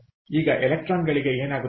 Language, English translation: Kannada, now what happens to the electrons